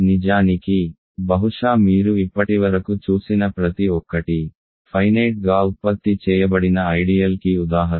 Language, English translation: Telugu, In fact, probably everything that you have seen so far is an example of finitely generated ideal